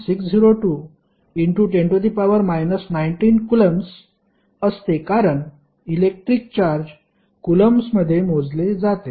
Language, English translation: Marathi, 602*10^ 19 coulomb because electric charge is measured in the in the parameter called coulomb